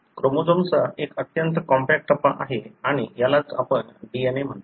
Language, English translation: Marathi, This is a very highly compact stage of the chromosome and this is what you call as DNA